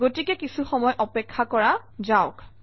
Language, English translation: Assamese, So lets wait for some time